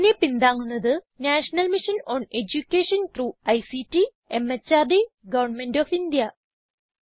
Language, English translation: Malayalam, It is supported by the National Mission on Education through ICT, MHRD, Govt of India